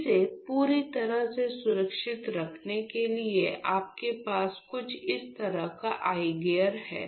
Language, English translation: Hindi, In order to protect it completely from all sides you have an eye gear something like this